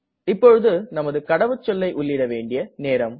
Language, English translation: Tamil, So we have to type the password carefully